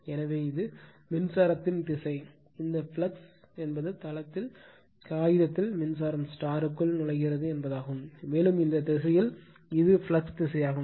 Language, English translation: Tamil, So, this is this is the direction of the current, this flux means that your current is entering into the into on the on the paper right that mean in the plane, and this direction this is the direction of the flux